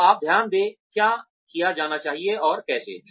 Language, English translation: Hindi, So, you note down, what needs to be done, and how